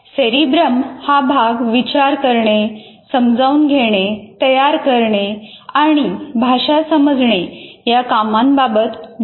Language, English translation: Marathi, And cerebram is responsible for thinking, perceiving, producing and understanding language